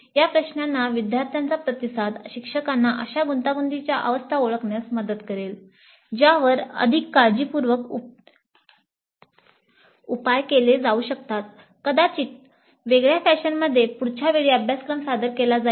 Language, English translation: Marathi, So the responses of students to these questions would help the instructor in identifying such bottlenecks and that can be treated more carefully in a different fashion probably next time the course is offered